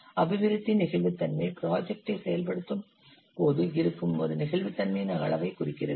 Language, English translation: Tamil, Development flexibility represents the degree of flexibility that exists when implementing the project